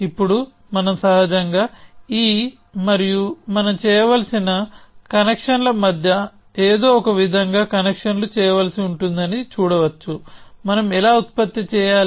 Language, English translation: Telugu, Now intuitively we can see that we will have to somehow make the connections between these and the kind of connections that we will need to make is that how do we generate the